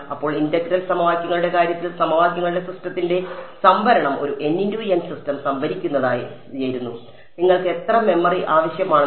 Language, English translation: Malayalam, Then the storage of the system of equations in the case of integral equations was storing a n by n system you need how much memory